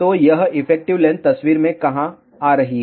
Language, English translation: Hindi, So, where is this effective length coming into picture